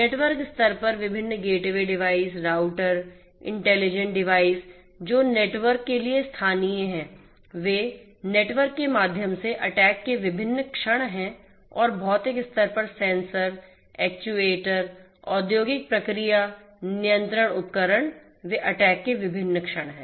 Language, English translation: Hindi, At the network level the different gateway devices, routers, intelligent devices which are local to the network, those are different points of attack through the network and at the physical level the sensors, the actuators, the industrial process control devices, those are the different points of attacks